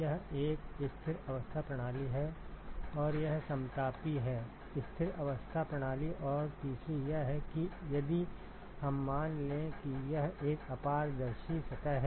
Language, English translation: Hindi, It is a steady state system and it is isothermal; steady state isothermal system and the 3rd one is if we assume that it is a opaque surface